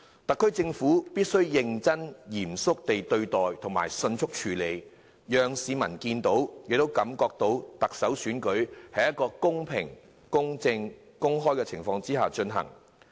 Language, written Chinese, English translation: Cantonese, 特區政府必須認真嚴肅地對待，迅速處理，讓市民看到亦感受到特首選舉是在公平、公正、公開的情況下進行。, The SAR Government must squarely and swiftly address this problem so that the public will see and feel that the election is conducted in a fair equitable and open manner